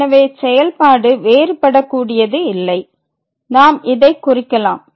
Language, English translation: Tamil, So, the function is not differentiable in this case